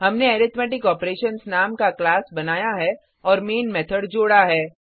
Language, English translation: Hindi, We have created a class by name Arithmetic Operations and added the main method